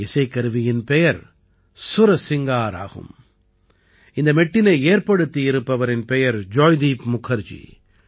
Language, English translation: Tamil, The name of this musical instrumental mantra is 'Sursingar' and this tune has been composed by Joydeep Mukherjee